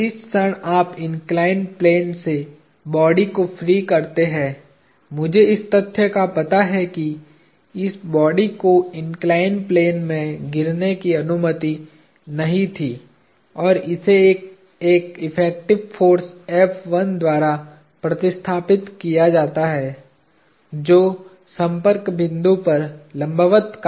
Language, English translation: Hindi, the moment you free the body of the inclined plane, I have to account for the fact that this body was not allowed to fall into the inclined plane, and that is replaced by an effective force F1 acting perpendicular to the point of contact; perpendicular at the point of contact